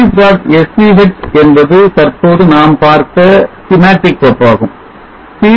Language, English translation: Tamil, SCH is the schematic file which we just now saw series